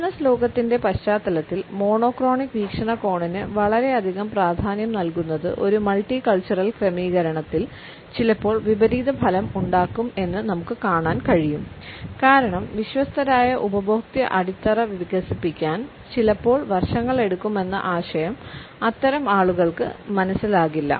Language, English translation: Malayalam, In the context of the business world sometimes we find that too much of an emphasis on monochronic perspective can backfire in a multicultural setting because the idea that sometimes it may take years to develop a loyal customer base is not understood by such people